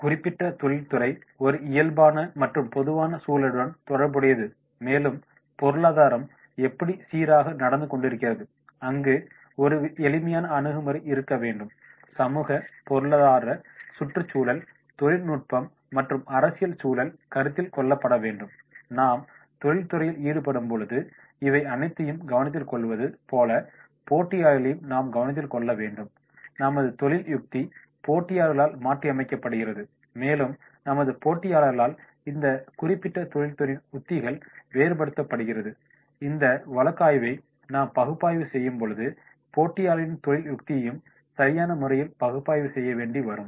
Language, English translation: Tamil, Related to the general environment of the particular nature of industry, how is the economy going on, the steep approach has to be there, the social, economic, ecological, technical and political environment that has to be taken into the consideration while we are making into the industry then we have to also see the competitors, the strategy is adapted by the competitors and differentiation of the strategies by our competitor this particular industry on which we are doing this case analysis and that competition that we have to make proper analysis on this competition